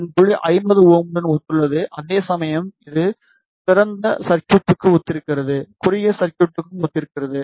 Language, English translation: Tamil, And this point corresponds to 50 Ohm, whereas this corresponds to open circuit and this corresponds to short circuit